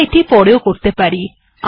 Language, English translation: Bengali, So we can also do this later